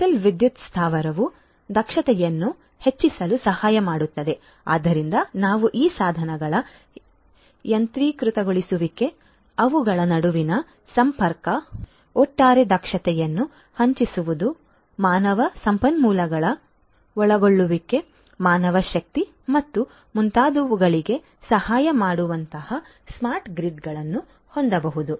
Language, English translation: Kannada, A digital power plant can help increase the efficiency so we can have smart grids which can help in automated devices we are automation, automation of these devices connectivity between them, overall increasing the efficiency, reducing the involvement of human resources, manpower and so on